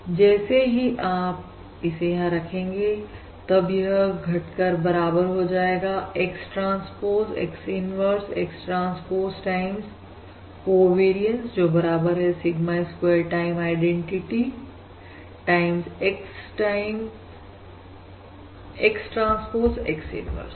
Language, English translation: Hindi, this is basically reduces to equal to X transpose, X inverse, X transpose, times, the covariance which is Sigma square times identity times X times X transpose X, inverse